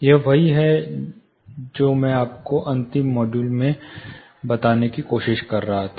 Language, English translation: Hindi, This is what I was trying to tell you last module